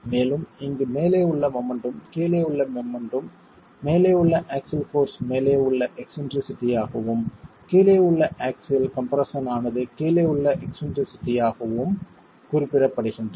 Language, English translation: Tamil, And here the moment at the top and the moment at the bottom are represented as the axial force resultant at the top into the eccentricity at the top and the axial stress resultant at the bottom into the eccentricity at the bottom itself